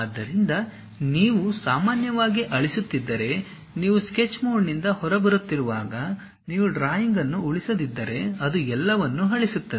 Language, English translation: Kannada, So, whenever you are coming out of sketch mode if you are deleting usually if you are not saving the drawing it deletes everything